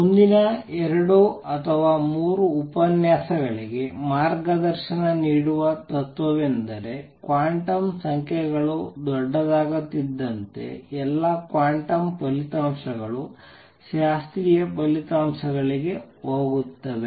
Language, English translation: Kannada, Principle which will be guiding principle for or next two or three lectures, is that as quantum numbers become large all quantum results go to a classical results